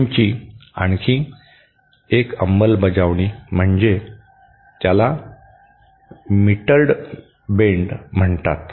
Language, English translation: Marathi, Another implementation of the bend is what is called as the mitred bend